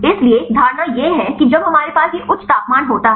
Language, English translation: Hindi, So, the assumption is when we have these high temperature